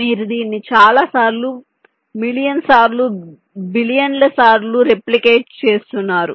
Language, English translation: Telugu, you are replicating it many times, million number of times, billion number of times like that